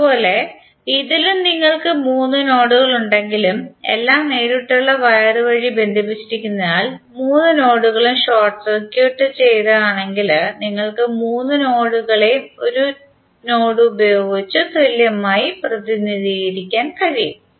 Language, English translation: Malayalam, Similarly in this also, although you have three nodes but since all are connected through direct wire means all three nodes are short circuited then you can equal entry represents all the three nodes with one single node